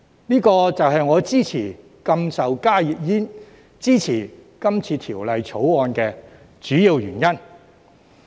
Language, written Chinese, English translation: Cantonese, 這就是我支持禁售加熱煙、支持《條例草案》的主因。, This is the major reason for me to support a ban on the sale of HTPs and support the Bill